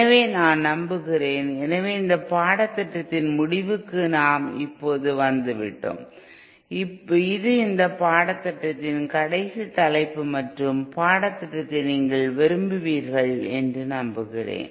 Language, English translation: Tamil, So I hope, so this is we have come now to the end of this course um, this is the last topic of this course and I hope you like this course